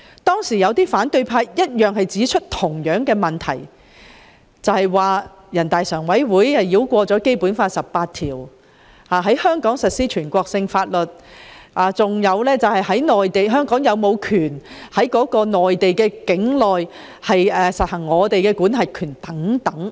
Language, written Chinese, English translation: Cantonese, 當時有反對派議員指出相同問題，認為全國人大常委會繞過《基本法》第十八條，在香港實施全國性法律，以及質疑香港人員是否有權在內地境內實行管轄權等。, Some opposition Members raised the same queries then holding the views that having NPCSC had bypassed Article 18 of the Basic Law and applied national laws in Hong Kong and they also queried whether Hong Kong officers had the right to exercise jurisdiction within the territory of the Mainland